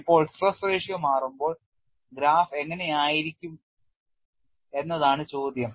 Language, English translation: Malayalam, Now, the question is when the stress ratio changes, how the graph looks like